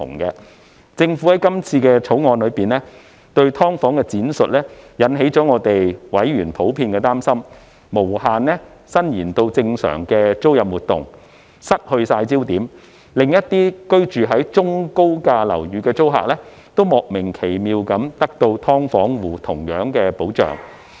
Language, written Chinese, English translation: Cantonese, 就政府在今次《條例草案》中對"劏房"的闡釋，委員普遍擔心，會無限引申至正常的租賃活動、失去焦點，令一些居於中、高價樓宇的租客，也莫名奇妙地獲得"劏房戶"同樣的保障。, Regarding the Governments interpretation of SDUs in the current Bill members were generally concerned that it might extend infinitely to normal rental activities and become out of focus causing some tenants who were living in medium or high - priced units to unnecessarily be given the same protection as SDU tenants